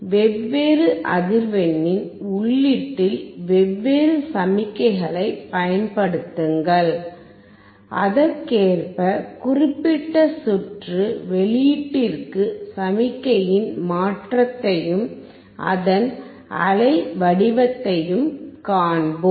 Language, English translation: Tamil, And we can apply different signal at the input of different frequency and correspondingly for this particular circuit we will see the change in the output signal and also its waveform